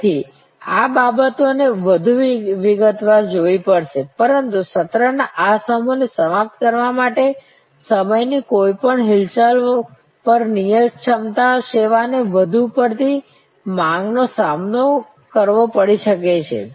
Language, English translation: Gujarati, So, will have to see these things in more detail, but to conclude this particular set of session is that at any movement in time a fix capacity service may face excess demand